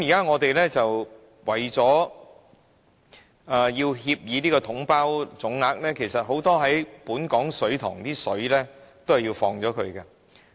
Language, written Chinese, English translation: Cantonese, 我們現在為了"統包總額"的協議，其實本港很多水塘的水需要排走。, For the sake of observing the package deal lump sum agreement now Hong Kong in fact has to discharge the water from many of our reservoirs